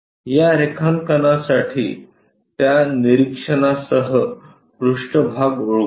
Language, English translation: Marathi, With those observations for this drawing let us identify the surfaces